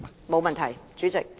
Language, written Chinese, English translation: Cantonese, 沒問題，主席。, That is fine President